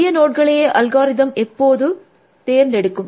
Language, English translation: Tamil, The algorithm always picks the newest node first